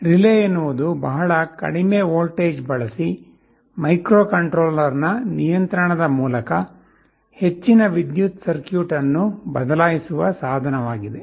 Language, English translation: Kannada, Relay is a device that can switch a higher power circuit through the control of a microcontroller using a much lower voltage